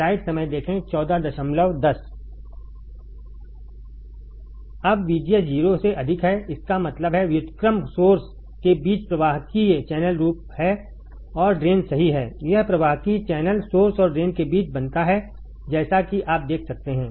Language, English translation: Hindi, Now, VGS is greater than 0; that means, inversion is there conductive channels forms between source and drain right this is conductive channel is formed between source and drain as you can see